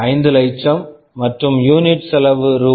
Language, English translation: Tamil, 5 lakhs and unit cost is Rs